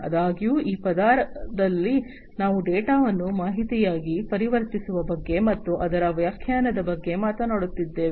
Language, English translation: Kannada, However, in this layer we are talking about the conversion of the data into information, and its interpretation; information and its interpretation